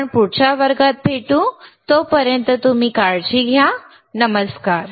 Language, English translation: Marathi, So, I will see in the next class till then you take care, bye